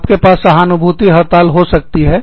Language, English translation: Hindi, You could have a, sympathy strike